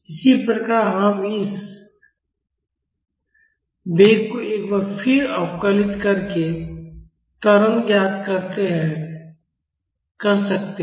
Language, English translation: Hindi, Similarly we can find out the acceleration by differentiating this velocity once more